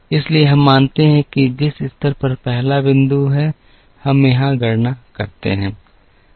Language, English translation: Hindi, So, we assume that the level the first point that, we calculate here